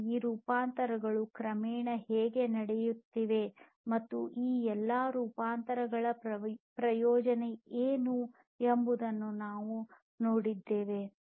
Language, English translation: Kannada, And we have also seen how that these transformations are happening gradually and what is the benefit of all these transformations that are happening